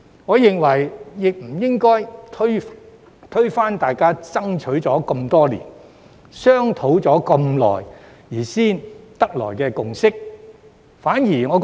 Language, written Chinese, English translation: Cantonese, 我認為，議員不應該推翻大家爭取多年、商討已久才達成的共識。, I think Members should not break the consensus reached after years of dedication and discussion